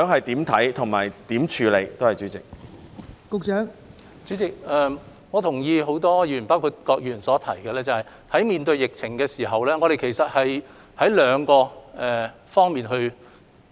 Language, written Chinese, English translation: Cantonese, 代理主席，我同意很多議員包括郭議員的看法，在面對疫情時主要須處理兩方面事宜。, Deputy President I share the views of many Members including Mr KWOKs that in the face of the epidemic we have to deal with matters relating to two major areas